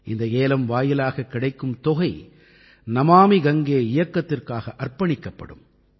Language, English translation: Tamil, The money that accrues through this Eauction is dedicated solely to the Namami Gange Campaign